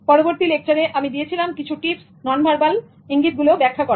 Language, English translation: Bengali, In the next one, I gave some tips for interpreting non verbal cues